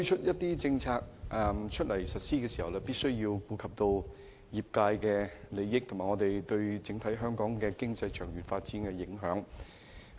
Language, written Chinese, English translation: Cantonese, 不過，政府在推出政策時必須顧及業界利益，以及有關政策對香港整體經濟長遠發展的影響。, However the Government must take into account the interests of the industry when implementing the relevant policies and their impacts on the long - term development of Hong Kong economy overall